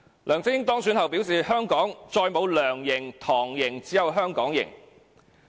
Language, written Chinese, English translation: Cantonese, 梁振英當選後表示，香港再沒有"梁營"、"唐營"，只有"香港營"。, After winning the election LEUNG Chun - ying said there would be no more LEUNGs camp or TANGs camp but only a Hong Kong Camp